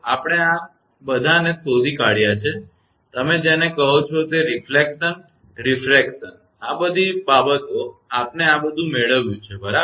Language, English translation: Gujarati, We have found out all your what you call that reflection refraction all these things we have made it right